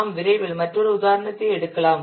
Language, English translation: Tamil, We'll quickly take another example